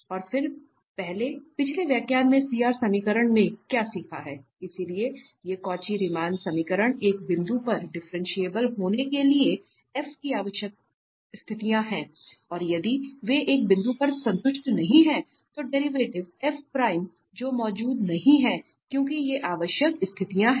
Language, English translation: Hindi, And then what we have learned in the previous lecture the CR equation, so these Cauchy Riemann equations are necessary conditions for f to be differentiable at a point and if they are not satisfied at a point, then the derivative f prime that does not exist because these are necessary conditions